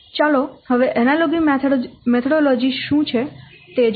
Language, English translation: Gujarati, So let's see what we'll see this analogy methodology